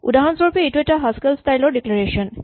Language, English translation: Assamese, For example, this is a Haskell style declaration